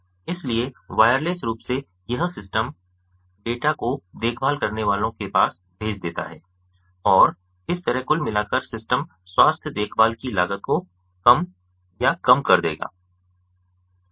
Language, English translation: Hindi, so, wirelessly, this systems would send the data to the caregivers and thereby, overall, the system as a whole would reduce or would lower the cost of healthcare